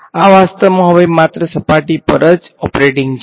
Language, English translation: Gujarati, This is actually now operating only on the surface